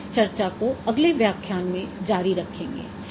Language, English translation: Hindi, We will continue this discussion in the next lecture